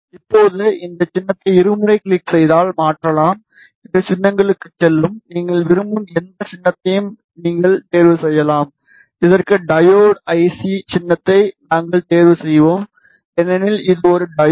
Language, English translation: Tamil, Now, this symbol can be changed just double click on, it go to symbols and you can choose any symbol that you want we will choose a diode IC symbol for this because it represents a diode IC, ok